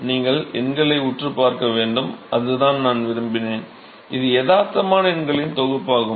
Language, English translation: Tamil, So, I wanted you to stare at the numbers, by the way this is realistic set of numbers